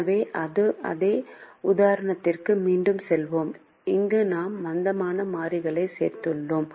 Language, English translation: Tamil, so let us go back to the same example where we have added the slack variables